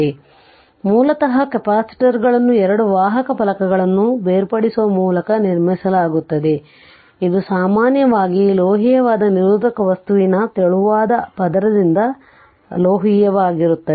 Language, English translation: Kannada, So, basically capacitors are constructed by separating two conducting plates which is usually metallic by a thin layer of insulating material right